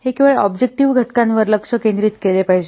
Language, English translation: Marathi, It should only concentrate on the objective factors